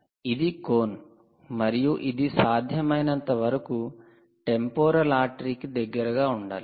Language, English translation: Telugu, this cone is because you have to be as close to the temporal artery as possible